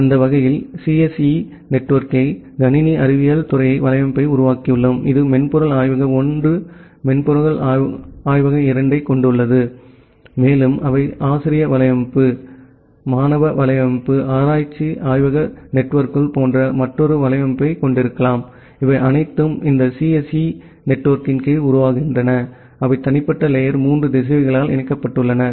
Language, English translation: Tamil, So, that way we have constructed the CSE network the computer science department network; which has the software lab 1 software lab 2 and they may have another network like the faculty network, the student network, the research lab networks, all these form under this CSE network they are connected by individual layer 3 routers